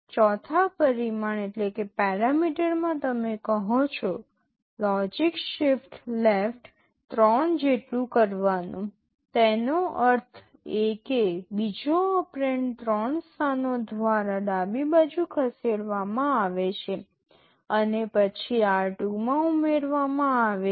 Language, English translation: Gujarati, In the fourth parameter you say logical shift left by 3; that means the second operand is shifted left by three positions and then added to r2